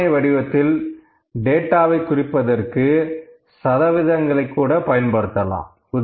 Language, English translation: Tamil, Now, percentages can also be used to represent data to represent the data in the form of a table